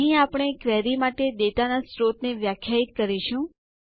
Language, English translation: Gujarati, Here is where we will define the source of the data for the query